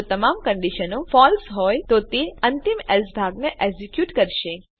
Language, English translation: Gujarati, If all the conditions are false, it will execute the final Else section